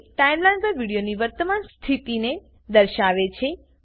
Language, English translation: Gujarati, It shows the current position of the video on the Timeline